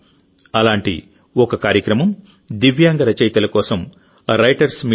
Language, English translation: Telugu, One such program was 'Writers' Meet' organized for Divyang writers